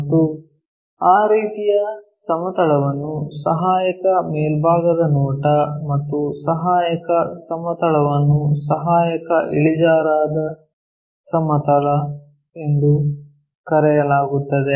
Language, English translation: Kannada, And, that kind of plane is called auxiliary top view and the auxiliary plane is called auxiliary inclined plane